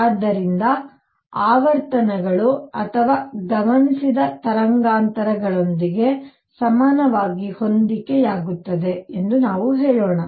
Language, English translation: Kannada, So, let us just say this that the frequencies or lambda equivalently matched with the observed wavelengths